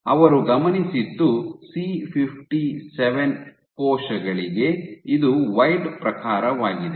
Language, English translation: Kannada, So, what they observed was for C57 cells, which is wild type